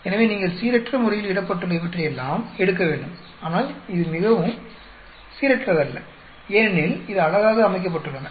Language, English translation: Tamil, So you have to pick up all these randomly put, it is not very random because it is beautifully arranged